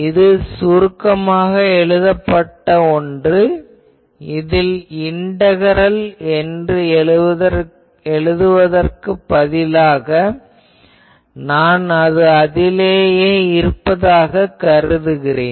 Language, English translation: Tamil, This is just a shorthand that instead of writing that integral I am absorbing that integral